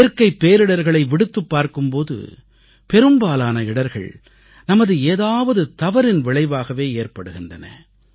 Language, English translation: Tamil, Leave aside natural disasters; most of the mishaps are a consequence of some mistake or the other on our part